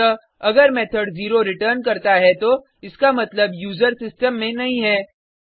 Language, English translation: Hindi, So, if the method returns 0 then, it means the user does not exist in the system